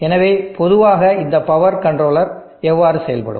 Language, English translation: Tamil, So this is in general how this power controller will behave